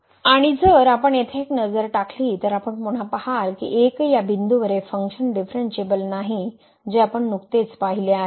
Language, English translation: Marathi, And if we take a look here at this floor, then you again see that at 1 here the function is not differentiable which we have just seen